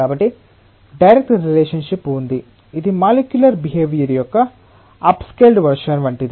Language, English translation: Telugu, So, there is a direct relationship it is like an up scaled version of the molecular behaviour